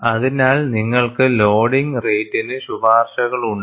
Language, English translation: Malayalam, So, you have loading rate recommendations